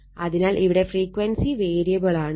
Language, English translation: Malayalam, Frequency is variable here